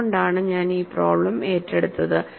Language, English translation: Malayalam, That is why I have taken up this problem